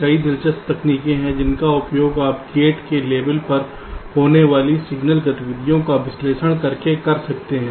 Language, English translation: Hindi, ok, there are many interesting techniques which you can use by analyzing the signal activities that take place at the level of gates